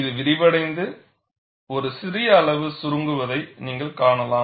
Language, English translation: Tamil, You could see that this expands and this shrinks by a small amount